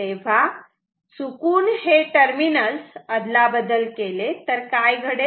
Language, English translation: Marathi, So, by mistake if we swap it what happens